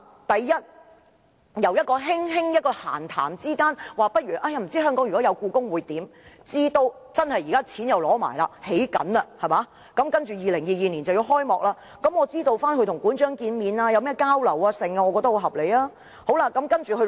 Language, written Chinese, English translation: Cantonese, 第一，由一次閒談中輕輕談到不知道香港有故宮館會怎樣，直至現時取得撥款開始興建，在2022年故宮館便要開幕，我想了解"林鄭"與館長見面和交流的內容，我認為這要求相當合理。, First I would like to know the details of the meeting between Carrie LAM and the Director of the Palace Museum during which it was casually mentioned about having a palace museum in Hong Kong and subsequently funding for the project was secured and HKPM will be commissioned in 2022 . I think my request is very reasonable